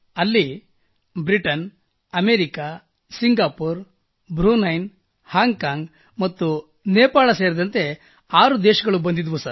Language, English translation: Kannada, Six countries had come together, there, comprising United Kingdom, United States of America, Singapore, Brunei, Hong Kong & Nepal